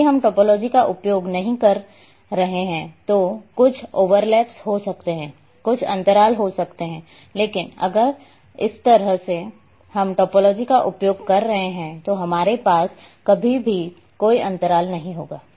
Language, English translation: Hindi, So, there might be some overlaps, there might be some gaps if we are not using topology but if if like this we are using topology then we will not have any gaps what so ever